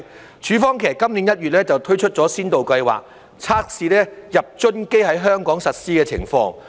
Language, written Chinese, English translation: Cantonese, 其實，署方於今年1月推出了先導計劃，測試入樽機在香港實施的情況。, In fact EPD launched a pilot scheme in January this year to test out the application of reverse vending machines for beverage containers in Hong Kong